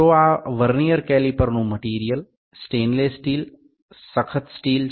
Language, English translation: Gujarati, So, the material of this specific Vernier caliper is stainless steel, stainless hardened steel